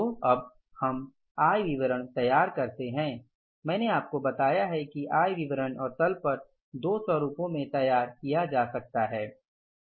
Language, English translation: Hindi, So, while preparing the income statement, as I told you that these statements, income statement and balance sheet can be prepared in two formats